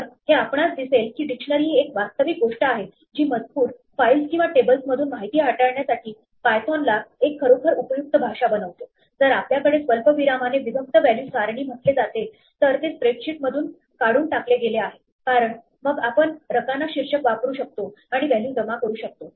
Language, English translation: Marathi, So, it turns out that you will see that dictionaries are actually something that make python a really useful language for manipulating information from text files or tables, if you have what are called comma separated value tables, it is taken out of spreadsheet because then we can use column headings and accumulate values and so on